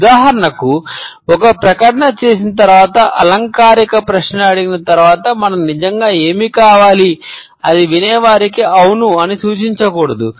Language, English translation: Telugu, For example after making a statement or asking a rhetorical question is not that what we really want, we not to suggest the listener yes, it is